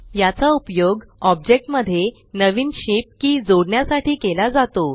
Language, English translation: Marathi, This is used to add a new shape key to the object